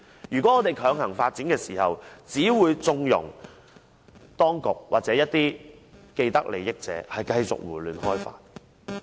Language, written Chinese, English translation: Cantonese, 如果我們強行發展，只會縱容當局或一些既得利益者繼續胡亂開發。, If we go ahead with forcible development we are just condoning the authorities or parties with vested interests to continue their development indiscriminately